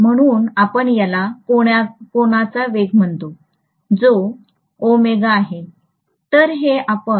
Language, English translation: Marathi, So we call this as angular velocity, which is omega